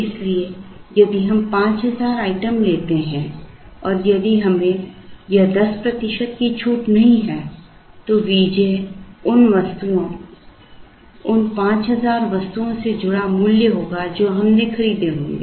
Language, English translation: Hindi, So, if we take 5000 items and if we did not have this 10 percent discount then V j will be the price associated with the 5000 items that we would have bought